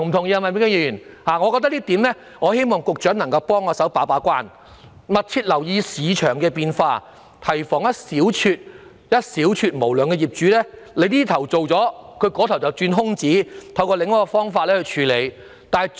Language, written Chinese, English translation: Cantonese, 因此，希望局長能替我們把關，密切留意市場變化，提防一小撮無良業主在政府這邊廂立法後，便在那邊廂鑽空子，另尋方法繼續牟取暴利。, I therefore hope that the Secretary will play the gate - keeping role and pay close attention to market changes thereby preventing a small number of unscrupulous landlords from finding loopholes in the system after the new legislative requirements have been put in place and identifying new opportunities to go on reaping huge profits